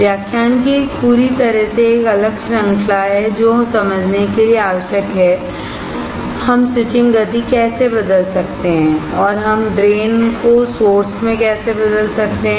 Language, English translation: Hindi, There is a totally a separate series of lectures that are required to understand, how we can change the switching speed and how can we change the drain to source